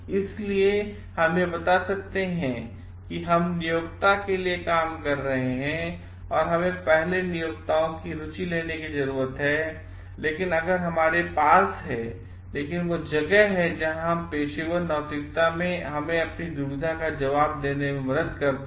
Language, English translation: Hindi, So, we may tell like we are working for the employer and we need to take the employers interest first, but if we have, but this is where our professional ethics helps us to answer this dilemma